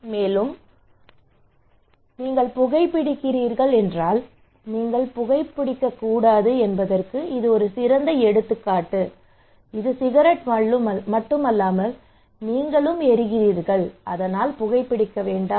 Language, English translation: Tamil, Also, this one is a very good example that you should not smoke if you are smoking actually not only cigarette, but you are burning yourself right so do not smoke